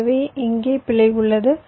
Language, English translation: Tamil, so there is an error situation here